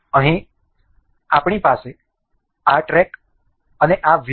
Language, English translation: Gujarati, Here, we have this track and this wheel